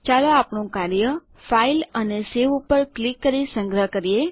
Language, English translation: Gujarati, Let us save our work now by clicking on File and Save